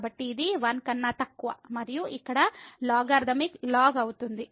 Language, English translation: Telugu, So, this is less than 1 and the logarithmic here